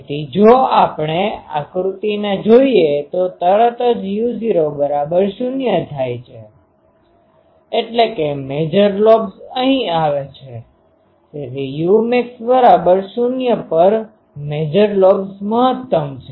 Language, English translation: Gujarati, So, if we look at the diagram the major lobe is immediately u 0 becomes 0 means major lobes comes here so, major lobes maxima at u max is 0